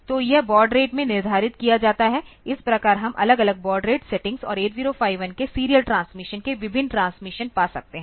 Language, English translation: Hindi, So, that is determined in the baud rate this way we can have different baud rate settings and different transmissions of serial transmissions of 8051